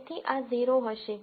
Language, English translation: Gujarati, So, this will be 0